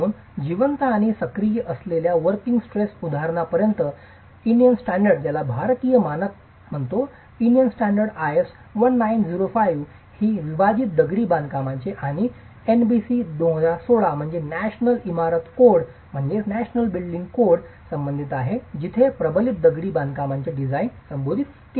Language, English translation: Marathi, So as far as an example for the working stress method which is alive and active are the Indian standards 1905 which deals with unreinforced masonry and the National Building Code 2016 where the reinforced masonry design is addressed